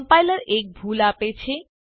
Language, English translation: Gujarati, The compiler gives an error